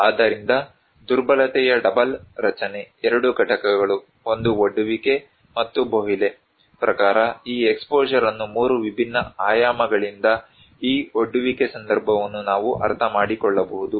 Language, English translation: Kannada, So, double structure of vulnerability, two components; one is the exposure one and this exposure one according to Bohle that we can understand this exposure context from 3 different dimensions